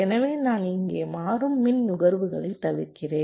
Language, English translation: Tamil, so i am avoiding dynamic power consumption here